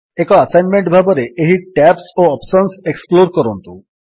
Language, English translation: Odia, As an assignment, explore these tabs and the options, therein